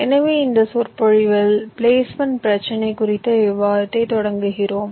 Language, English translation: Tamil, so we start our discussion on the placement problem in this lecture